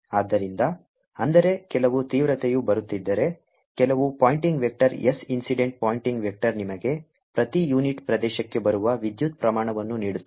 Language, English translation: Kannada, so that means, if there is some intensity coming in some pointing vector, s incident pointing vector gives you the amount of power coming per unit area